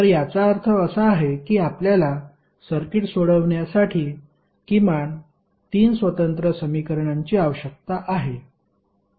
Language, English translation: Marathi, So, that means that we need minimum three independent equations to solve the circuit